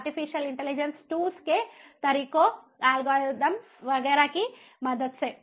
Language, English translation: Hindi, with the help of artificial intelligence tools, methods, algorithms and so on